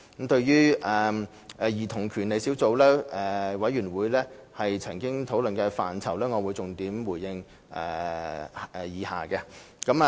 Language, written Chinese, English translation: Cantonese, 對於小組委員會曾討論的範疇，我會重點回應如下。, Regarding the areas discussed by the Subcommittee I will give a reply on the main points as follows